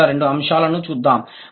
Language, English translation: Telugu, Let's look at the first two points